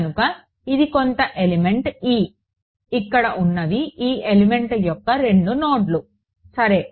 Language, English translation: Telugu, So, this is some element e, these are the two nodes of this element over here ok